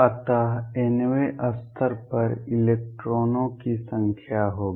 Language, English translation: Hindi, So, the number of electrons in the nth level will be